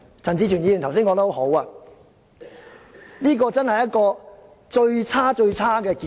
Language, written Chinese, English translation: Cantonese, 陳志全議員剛才說得很好，這真是一個最差、最差的結果。, Mr CHAN Chi - chuen made a good point just now . This is indeed the worst outcome the worst ever